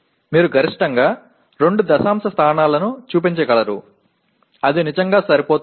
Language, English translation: Telugu, You can show up to maximum 2 decimal places that is more than enough really